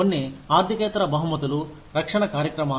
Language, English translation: Telugu, Some non financial rewards are, the protection programs